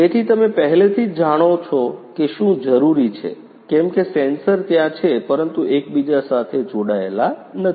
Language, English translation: Gujarati, So, what is required as you know already that the sensors are there but they are not interconnected